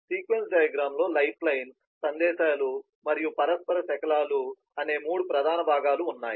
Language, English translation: Telugu, there are three major components of a sequence diagram, lifeline, messages, and interaction fragments